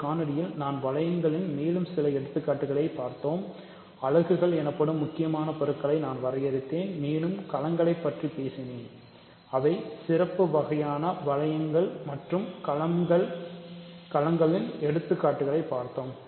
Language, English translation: Tamil, I will in this video we looked at more examples of rings and I defined important objects called units, and I talked about fields, which are special kinds of rings and we looked at examples of fields